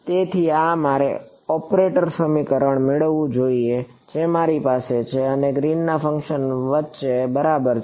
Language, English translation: Gujarati, So, this I should get the operator equation to be the exact same between what I have and Green’s function